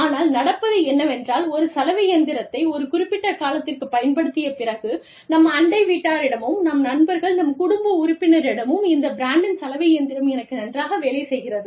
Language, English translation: Tamil, But, what happened was, after using a washing machine, for a period of time, we were in a position to tell, our neighbors, and our friends, and our family members that, okay, this brand has worked well, for me